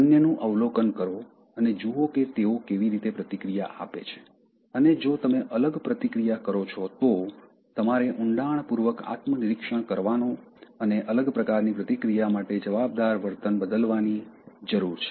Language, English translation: Gujarati, Observe others and see how they react and if you react differently, so then you need to introspect deep and change the behavior that is making you react differently